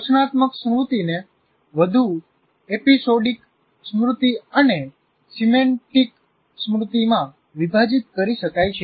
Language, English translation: Gujarati, This declarative memory may be further subdivided into what we call episodic memory and semantic memory